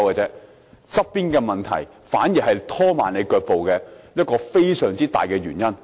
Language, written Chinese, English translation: Cantonese, 其實，相關問題反而是拖慢腳步的一大原因。, Actually this matter is rather a major reason for hindrance